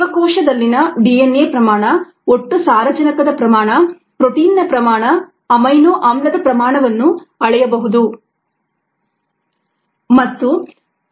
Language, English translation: Kannada, the amount of DNA, the amount of total nitrogen, the amount of protein, the amount of amino acid in a cells could be measured